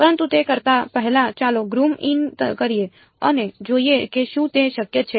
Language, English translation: Gujarati, But before we do that let us zoom in and see is it possible